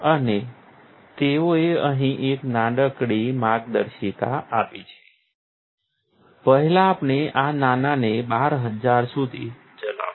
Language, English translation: Gujarati, And they have given a little guideline here, first we ran this little guy up to 12000